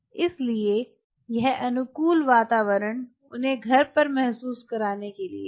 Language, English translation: Hindi, so this conducive environment for them to feel at home is out here